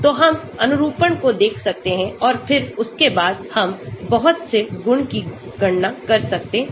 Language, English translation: Hindi, So, we can look at conformations and then after that we can do lot of property calculations